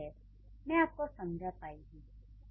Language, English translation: Hindi, I hope I made it clear